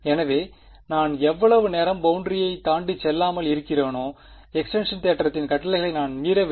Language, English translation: Tamil, So, as long as I do not go across the boundary I am not violating the condition of extinction theorem right